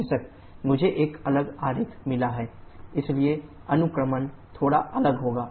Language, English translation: Hindi, Of course, I have got a different diagram show the indexing a bit different